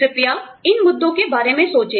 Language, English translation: Hindi, Please think about, these issues